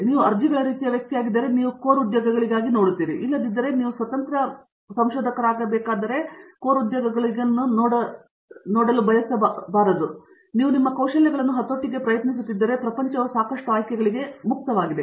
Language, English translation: Kannada, If you are applications kind of person you will look for core jobs, but if you are trying to leverage your skills then the world is open for lots of options